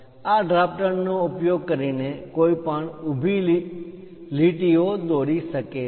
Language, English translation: Gujarati, Using this drafter, one can draw complete vertical lines